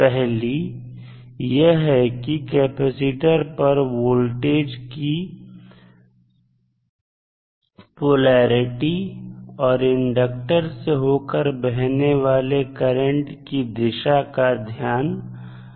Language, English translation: Hindi, First is that polarity of voltage vt across capacitor and direction of current through the inductor we have to always keep in mind